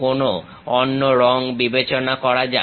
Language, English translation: Bengali, Let us use some other color